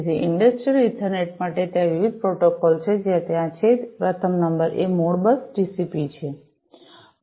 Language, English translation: Gujarati, So, for the industrial Ethernet there are different protocols that are there, number one is the Modbus TCP